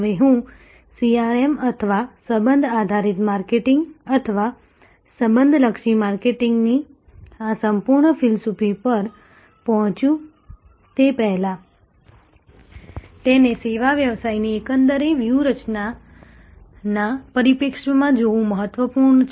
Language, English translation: Gujarati, Now, before I get on to CRM or this whole philosophy of relationship driven marketing or relationship oriented marketing, it is important to see it in the perspective of the overall strategy of the service business